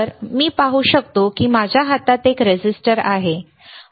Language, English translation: Marathi, If I can see this is a resistor in my hand, right